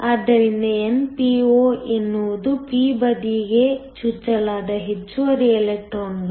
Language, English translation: Kannada, So, np is the extra electrons that are injected on to the p side